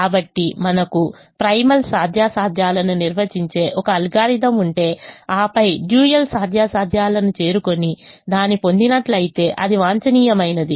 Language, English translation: Telugu, so we, if we have an algorithm that maintains primal feasibility and then approaches dual feasibility and gets it, then it is optimum